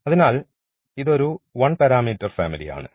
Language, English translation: Malayalam, So, this is the 3 parameter family of circles